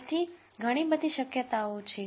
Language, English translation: Gujarati, So, there are many many possibilities